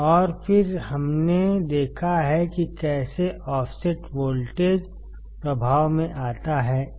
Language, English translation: Hindi, And then we have seen how offset voltages comes into play